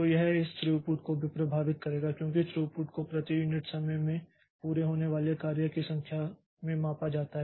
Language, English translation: Hindi, So, this will also affect this throughput because throughput is measuring number of jobs completed per unit time